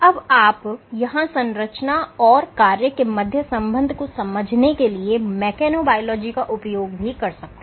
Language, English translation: Hindi, You can also make use of mechanobiology for understanding structure function relationships